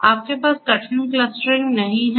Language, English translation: Hindi, So, you do not have hard clustering